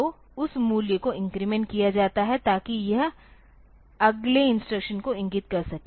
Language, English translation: Hindi, So, that value is incremented so that it can point to the next instruction